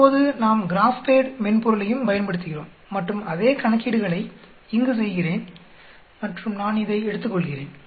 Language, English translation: Tamil, Now we can use the GraphPad software also and do the same calculations here and I will take this